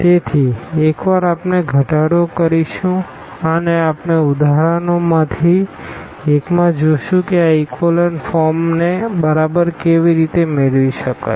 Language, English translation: Gujarati, So, once we reduce and we will see in one of the examples a little more general example how to exactly get this echelon form